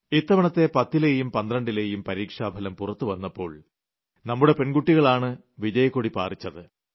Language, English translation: Malayalam, This time in the results of 10th and 12th classes, our daughters have been doing wonderfully well, which is a matter of pride